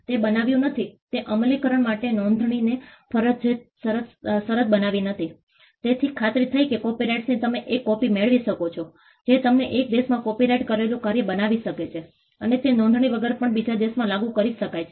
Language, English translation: Gujarati, It did not make, it did not make registration a mandatory condition for enforcement, so that ensured that copyrights you could get a copy you could have a copyrighted work created in one country, and it could be enforced in another country even without registration